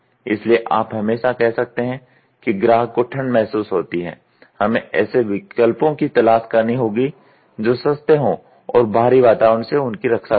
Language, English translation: Hindi, So, you can always say the customer feels cold we have to look for alternatives which is cost effective which could protect him from the external environment